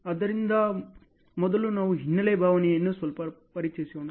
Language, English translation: Kannada, So, let us introduce little on the background side first